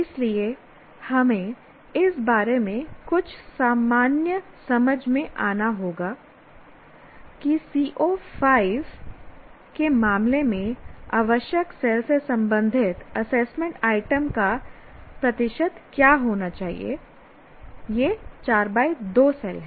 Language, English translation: Hindi, So, we have to come to some common understanding what should be the percentage of assessment items that belong to the required cell, namely in the case of CO5, it is 4 comma 2